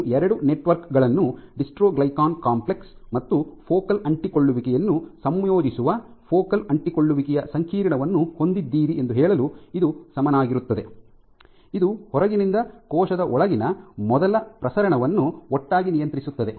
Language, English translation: Kannada, So, this is equivalent of saying that you have two networks a dystroglycan complex and a focal adhesion integrating, focal adhesion complex which together collectively regulate the first transmission from the outside to the inside